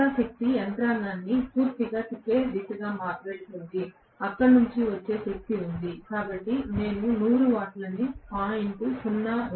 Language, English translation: Telugu, The rest of the power is the one which is going toward rotating the mechanism completely otherwise, there is the power coming from, so I have given 100 divided by 0